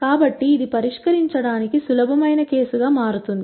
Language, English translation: Telugu, So, this turns out to be the easiest case to solve